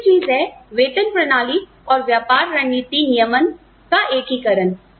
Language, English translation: Hindi, The other thing is, integration of pay systems and business strategy formulation